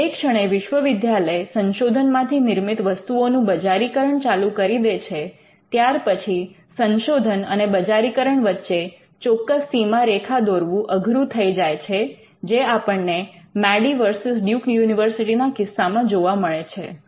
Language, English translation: Gujarati, But once university start commercializing the products of their research; it may be hard to draw a line between research used and commercialization as it happened in Madey versus Duke University